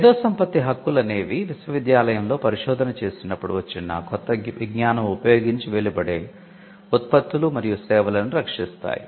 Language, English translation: Telugu, So, intellectual property rights protect the products and services that emanates from new knowledge in a university, which you could predominantly find when the institute does research